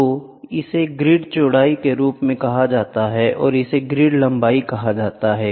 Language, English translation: Hindi, So, this is called as a the this is called as the grid width and this is called as a grid length